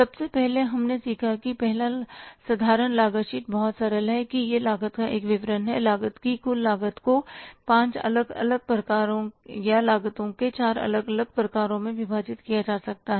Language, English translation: Hindi, First we learned that first simple cost sheet is very simple that it is a statement of the cost, total cost of the product can be divided into five different types of the cost or the four different types of the cost